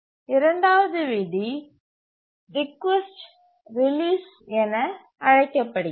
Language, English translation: Tamil, The second rule is called as the request release rule